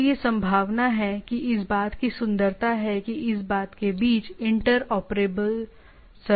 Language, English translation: Hindi, So, that is the possibility, that that is the beauty of this having interoperable services across the thing